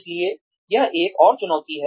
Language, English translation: Hindi, So, that is another challenge